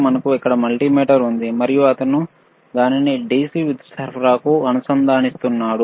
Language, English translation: Telugu, So, we have the DC we have the multimeter here, and he will connect it to the DC power supply